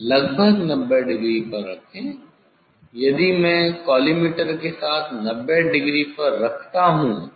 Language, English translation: Hindi, place the 90 approximately, if I place at 90 degree with the collimator with the collimator